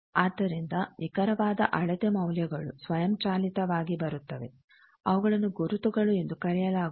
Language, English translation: Kannada, So, that exact measurement values automatically will come, those are called markers